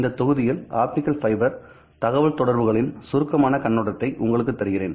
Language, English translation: Tamil, In this module I will give you a brief overview of optical fiber communications